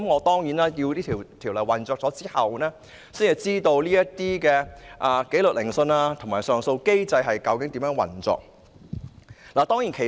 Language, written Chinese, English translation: Cantonese, 當然，《條例草案》實施之後，我們才能知道紀律聆訊和上訴機制究竟如何運作。, Certainly we will only learn about the operation of the disciplinary hearing and appeal mechanisms after the Bill has come into effect